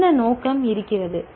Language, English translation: Tamil, What motive is there